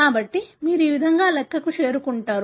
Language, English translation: Telugu, So, this is how you arrive at the calculation